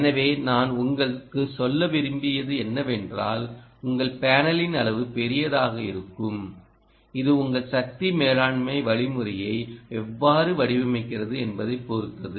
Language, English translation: Tamil, so that's what i wanted to derive home: that your sizing in the panel will large depend on how you design your power management algorithm